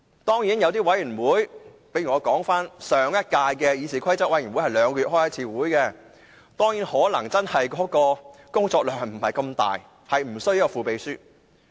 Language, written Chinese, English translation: Cantonese, 當然，就一些委員會，例如上屆議事規則委員會是每兩個月才開會一次，工作量不是太大，便無須副秘書。, Of course the workload of some committees is not too heavy and a deputy clerk will not be needed . One example is the Committee in the last session which only held a meeting bi - monthly